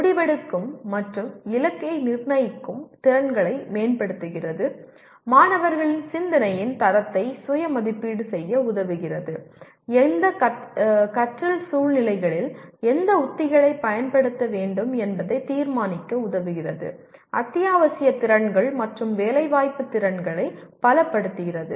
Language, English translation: Tamil, Improves decision making and goal setting skills; Enables students to self assess the quality of their thinking; Helps to decide which strategies to use in which learning situations; Strengthens essential skills and employability skills